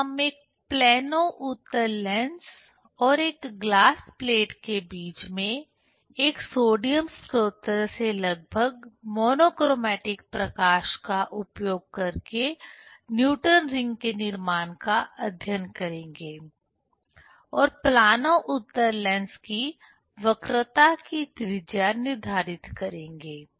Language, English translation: Hindi, Then we will study the formation of Newton s rings in the air film in between a plano convex lens and a glass plate using nearly monochromatic light from a sodium source and determine the radius of curvature of the plano convex lens